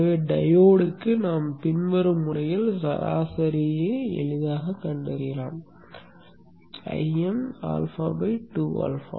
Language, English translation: Tamil, So for the diode we can easily find the average in the following manner